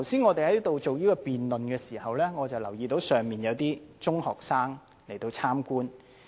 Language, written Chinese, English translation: Cantonese, 我們剛才進行辯論時，我留意到公眾席有中學生來旁聽。, Just now I noted that there were secondary school students in the public gallery observing the meeting